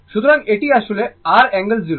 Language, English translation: Bengali, So, this is actually R angle 0